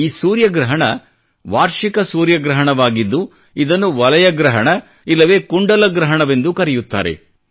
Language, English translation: Kannada, This solar eclipse is an annular solar eclipse, also referred to as 'Valay Grahan' or 'Kundal Grahan'